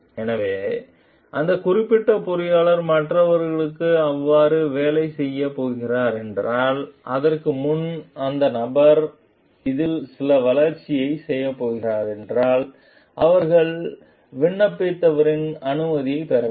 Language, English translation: Tamil, So, if that particular engineer is going to work for others so, then before if that person is going to do some development on it so, they have to seek the permission of the applied